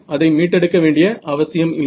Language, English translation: Tamil, no need to recover